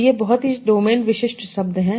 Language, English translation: Hindi, So these are very domain specific terms